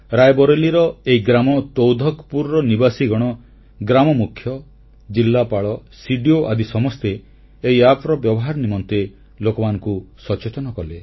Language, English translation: Odia, Residents of the village Taudhakpur in Rae Bareilly, village chief, District Magistrate, CDO and every one joined in to create awareness amongst the masses